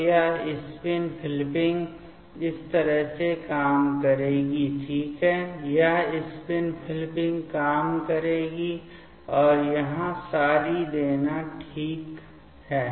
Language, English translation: Hindi, So, this spin flipping will work in this way ok, this spin flipping will work and giving the sorry here ok